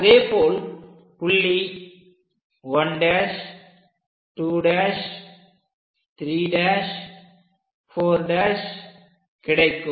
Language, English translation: Tamil, So, this is the way 1, 2, 3, 4, 5